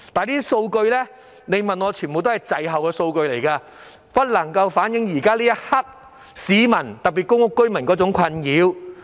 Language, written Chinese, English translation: Cantonese, 但是，那些都是滯後的數據，不能反映現時市民，特別是公屋居民的困擾。, However as the data has lagged behind they cannot reflect the distress of the public especially tenants living in public rental units